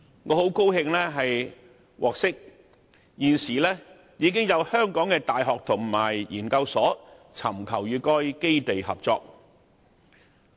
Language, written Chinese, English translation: Cantonese, 我很高興獲悉，現時已有香港的大學和研究所尋求與該基地合作。, I am pleased to learn that some universities and research centres in Hong Kong have already sought collaboration with CSNS